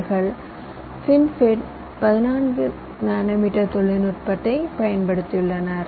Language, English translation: Tamil, they have used fin fet fourteen nanometer technology